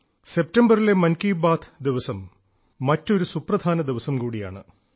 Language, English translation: Malayalam, The day of Mann Ki Baat this September is important on another count, date wise